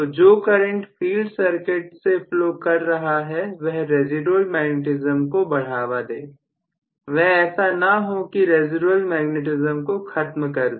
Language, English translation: Hindi, So, this current what is flowing through the field circuit should aid the residual magnetism, it should not kill the residual magnetism